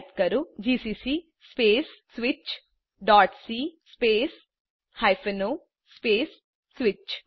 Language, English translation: Gujarati, Type:gcc space switch.c space o space switch